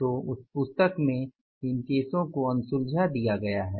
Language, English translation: Hindi, So, in that book these cases are given as unsolved cases